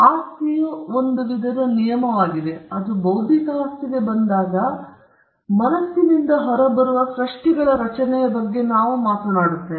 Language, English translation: Kannada, Property is a form of regulation, and when it comes to intellectual property we are talking about a form of regulation of creations that come out of the mind